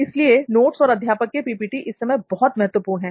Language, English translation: Hindi, So that is why notes and teacher’s PPTs are very important this time